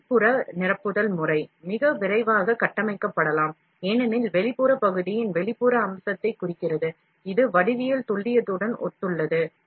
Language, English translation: Tamil, The internal filling pattern, can be built more rapidly, since the outline represents the external feature of the part, that corresponds to the geometric precision